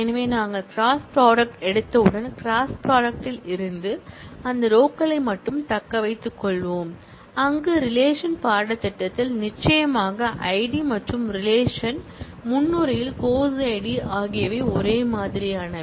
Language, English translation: Tamil, So, once we have taken the cross product, we will from the cross product, only retain those rows, where the course id in relation course and the course id in relation prereq are same